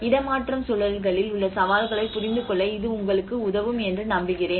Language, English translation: Tamil, I hope this will help you in understanding the challenges in the relocation contexts